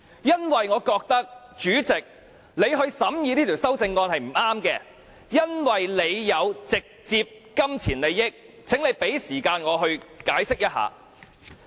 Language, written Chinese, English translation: Cantonese, 因為我覺得，主席，由你來審議這項修正案是不對的，因為你有直接金錢利益，請你給時間我解釋。, President I believe that it is not right to have you scrutinizing the said amendment as you have a direct pecuniary interest . Please allow me time to explain this